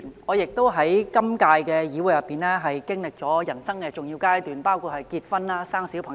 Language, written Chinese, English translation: Cantonese, 我在今屆議會亦經歷了人生的重要階段，包括結婚及生育小朋友。, I myself have similarly gone through some important stages in life during the current term of this Council including marriage and childbirth